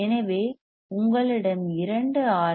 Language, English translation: Tamil, So, one you see R 1